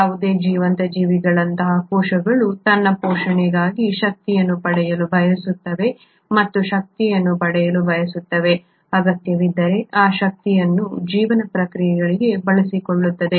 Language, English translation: Kannada, Cells like any living organism would like to acquire energy for its sustenance and not just acquire energy, if the need be, utilise that energy for life processes